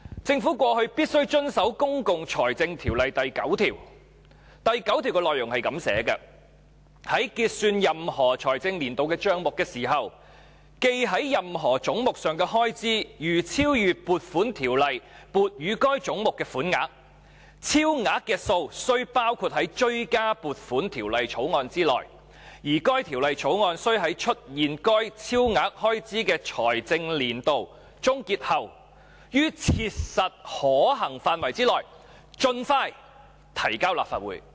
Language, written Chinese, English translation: Cantonese, 政府過去必須遵守《公共財政條例》第9條，第9條的內容如下："在結算任何財政年度的帳目時，記在任何總目上的開支如超逾撥款條例撥予該總目的款額，超額之數須包括在追加撥款條例草案內，而該條例草案須在出現該超額開支的財政年度終結後，於切實可行範圍內盡快提交立法會。, In the past the Government had abided by section 9 of PFO which reads If at the close of account for any financial year it is found that expenditure charged to any head is in excess of the sum appropriated for that head by an Appropriation Ordinance the excess shall be included in a Supplementary Appropriation Bill which shall be introduced into the Legislative Council as soon as practicable after the close of the financial year to which the excess expenditure relates